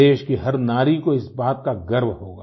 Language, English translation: Hindi, Every woman of the country will feel proud at that